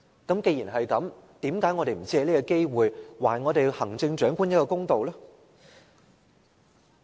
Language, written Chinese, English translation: Cantonese, 既然如此，為甚麼我們不藉此機會，還行政長官公道呢？, If so why dont we take this opportunity to do the Chief Executive justice?